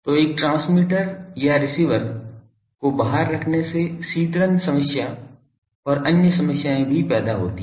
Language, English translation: Hindi, So, putting a transmitter or receiver at the outside creates cooling problem and other problems also